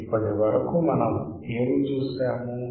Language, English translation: Telugu, So, what we have seen until now